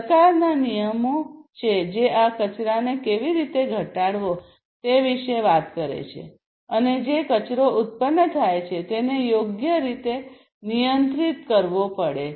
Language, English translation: Gujarati, So, there are government regulations, which talk about how to reduce these wastes and also the wastes that are produced will have to be handled properly